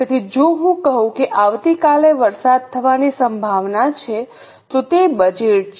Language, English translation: Gujarati, So, if I say that tomorrow it is likely to rain, is it a budget